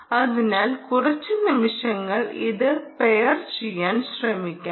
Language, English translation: Malayalam, so let's try, ah, pairing it for a few seconds